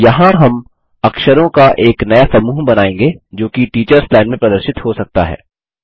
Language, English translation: Hindi, Here we create new set of characters that can be displayed in the Teachers Line